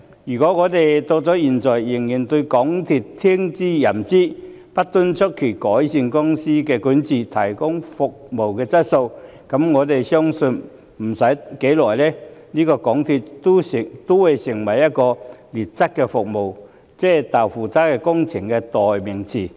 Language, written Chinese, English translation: Cantonese, 如果現在仍對港鐵公司聽之任之，不敦促其改善公司管治、提高服務質素，我相信不多久，港鐵公司便會淪為"劣質服務"、"'豆腐渣'工程"的代名詞。, If the Government continues to give MTRCL a free hand and refuses to urge it to improve its corporate governance and enhance its service quality I believe that shortly afterwards MTRCL will degenerate into a synonym for deplorable services and jerry - built projects